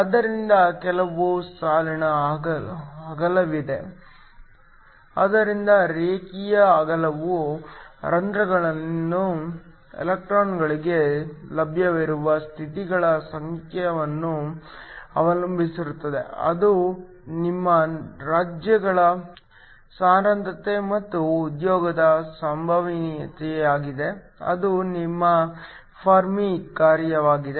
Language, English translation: Kannada, So, that there is some line width, So, the line width depends upon the number of states that are available for the electrons in holes to occupy that is your density of states and also the probability of the occupation, that is your Fermi function